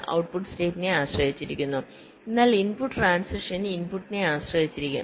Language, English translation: Malayalam, the output depends on the state, but the input transition may depend on the input